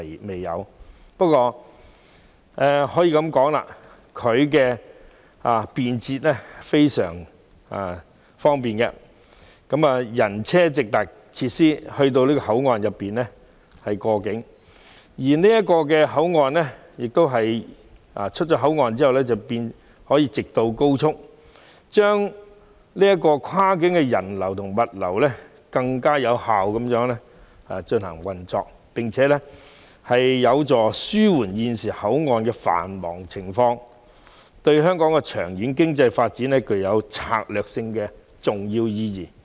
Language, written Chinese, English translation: Cantonese, 蓮塘/香園圍口岸十分方便，人和車輛均可以直達口岸設施過境，而離開口岸後，更可直上高速公路，這令跨境的人流和物流能更有效流動，有助紓緩現時口岸的繁忙情況，對香港經濟的長遠發展在策略上具重要意義。, The LTHYW Control Point is very convenient in that both passengers and vehicles can reach the boundary crossing facilities direct to cross the boundary and have direct access to the highway upon departure from the control point . This enables more efficient flows of people and goods across the boundary and helps alleviate the current busy situation at other control points . Hence it is of strategic importance to the long - term economic development of Hong Kong